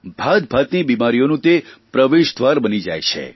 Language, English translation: Gujarati, It becomes an entrance for many other diseases